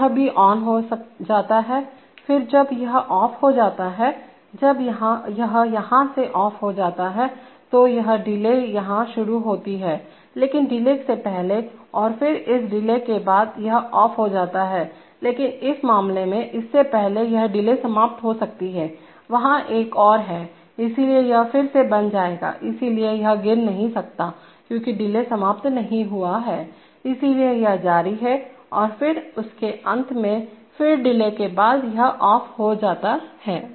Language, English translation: Hindi, So this also becomes on, then when it becomes off, when it becomes off here, this delay starts here but before the delay, and then, after this delay this becomes off, but in this case, before this, it can, this delay can expire, there is another on, so it will again become on, so this cannot fall because the delay is not expired, so it continues and then at the end of this, again after delay, it becomes off